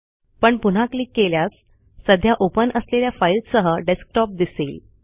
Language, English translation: Marathi, If we click this again, it shows the Desktop, along with the files already open